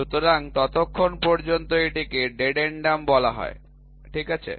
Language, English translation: Bengali, So, till then it is called as dedendum, ok